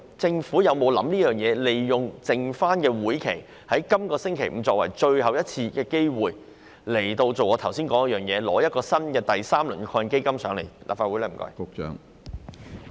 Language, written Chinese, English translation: Cantonese, 政府有否考慮利用這屆立法會餘下的時間，即在本星期五最後一次財委會會議上，提出第三輪基金的建議？, Will the Government consider using the remaining time in this Legislative Council term to propose the third - round AEF at the last meeting of FC to be held this Friday?